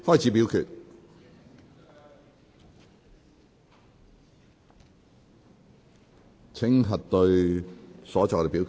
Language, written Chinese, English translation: Cantonese, 請各位議員核對所作的表決。, Will Members please check their votes